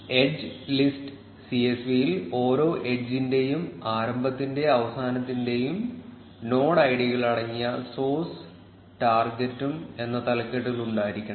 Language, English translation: Malayalam, The edge list csv should have columns titled source and target containing node ids of the start and end node for each edge